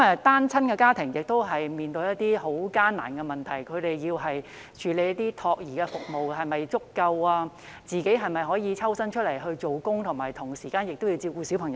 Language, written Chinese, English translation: Cantonese, 單親家庭面對很艱難的問題：他們需要的託兒服務是否足夠，讓家長可抽身外出工作，並同時照顧小孩？, Single - parent families face a very difficult question are there adequate child care services to meet their need so that the parents concerned can manage to go out to work and take care of their children at the same time?